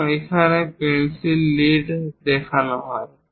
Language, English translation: Bengali, And here the pencil leads are shown